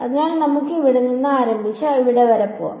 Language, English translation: Malayalam, So, let us start from here and go all the way up to here